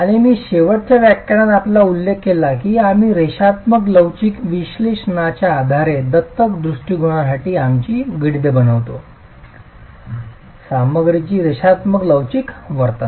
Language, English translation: Marathi, And I did mention to you in the last lecture that we make our calculations for the adopted approach based on linear elastic analysis, linear elastic behavior of the material